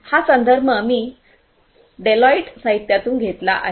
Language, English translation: Marathi, This is a quote that I have taken from a Deloitte literature